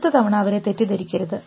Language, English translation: Malayalam, So, that the next time they do not falter